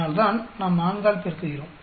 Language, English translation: Tamil, That is why we are multiplying by 4